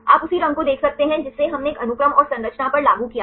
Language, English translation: Hindi, You can see the same color we applied to a sequence and the structure